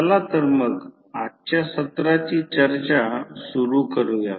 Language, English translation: Marathi, So, let us start the discussing of today’s session